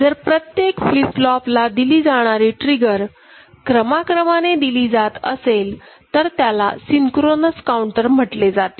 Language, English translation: Marathi, And simultaneously each of the flip flop can get triggered, so that is called synchronous synchronously it is happening, so that is called synchronous counter